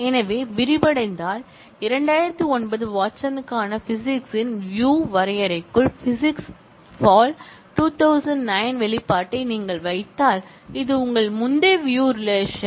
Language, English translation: Tamil, So, if you expand out, if you just put the physics fall 2009 expression, within the view definition of physics for 2009 Watson, this is your earlier view relation